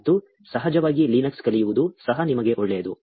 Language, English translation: Kannada, And, of course learning Linux will also be good for you